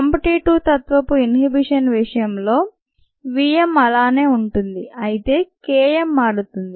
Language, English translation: Telugu, in the case of competitive inhibition, v m remains the same